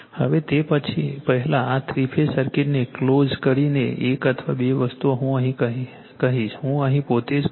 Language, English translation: Gujarati, Now, before they before you are, closing this three phase circuit one or two things I will tell you I will here itself I am telling you